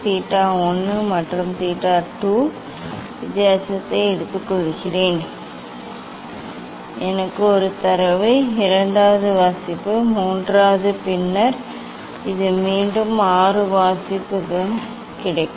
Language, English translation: Tamil, theta 1 and theta 2 take difference I will get one data, second reading, third, then this again 6 reading I will get